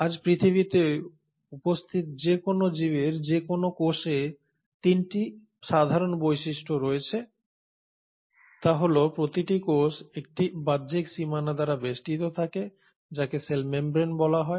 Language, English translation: Bengali, Any cell of any organism which is existing on earth today has 3 common features is that is each cell is surrounded by an outer boundary which is called as the cell membrane